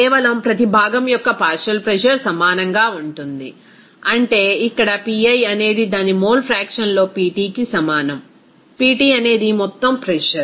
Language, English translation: Telugu, Simply the partial pressure of each component will be is equal to that means here Pi that will be is equal to Pt into its mole fraction, Pt is the total pressure